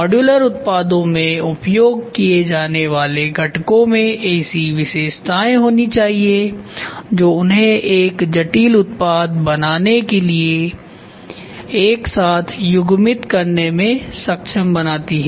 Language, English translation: Hindi, Components used in the modular products must have features that enable them to be coupled together to form a complex product